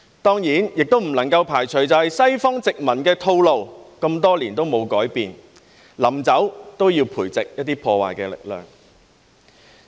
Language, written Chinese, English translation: Cantonese, 當然，也不能排除西方殖民的套路，那麼多年也沒有改變，臨走也要培植一些破壞力量。, Of course we cannot rule out the fact that the colonial practice of the West to cultivate destructive forces before its departure has remained unchanged for so many years